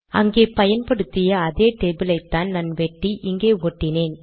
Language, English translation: Tamil, Its the same table that we used earlier, I just cut and pasted it